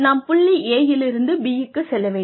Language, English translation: Tamil, So, we start from point A